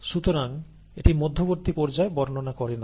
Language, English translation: Bengali, Therefore it does not describe the phases in between, okay